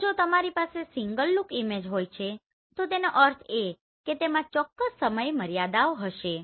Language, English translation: Gujarati, So in case if you are having single look image that means it will have certain limitation